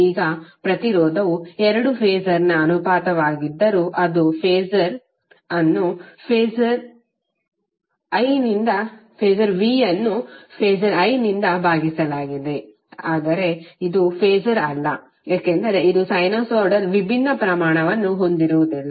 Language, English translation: Kannada, Now although impedance is the ratio of two phasor, that is phasor V divided by phasor I, but it is not a phasor, because it does not have the sinusoidal varying quantity